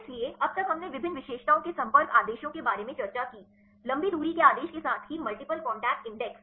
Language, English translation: Hindi, So, till now we discussed about the different features contact orders; long range order as well as the multiple contact index